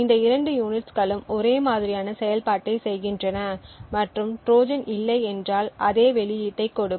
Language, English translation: Tamil, So, both this units perform exactly the same functionality and if there is no Trojan that is present would give the same output